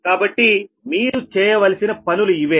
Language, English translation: Telugu, so these are the things